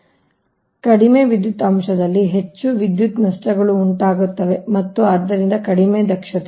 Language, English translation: Kannada, so more power losses incur at low power factor and hence poor efficiency